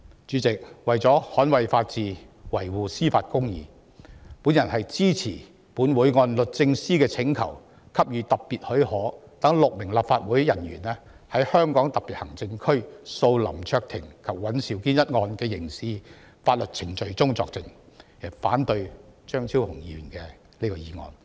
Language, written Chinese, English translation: Cantonese, 主席，為了捍衞法治、維護公義，我支持本會按律政司的請求給予特別許可，讓6名立法會人員在香港特別行政區訴林卓廷及尹兆堅一案的刑事法律程序中作證，反對張超雄議員這項議案。, President to uphold the rule of law and safeguard justice I support the Council pursuant to the application for Special Leave by the Department of Justice in granting leave to six officers of the Legislative Council to give evidence in the criminal proceedings of HKSAR v LAM Cheuk - ting WAN Siu - kin and oppose the motion proposed by Dr Fernando CHEUNG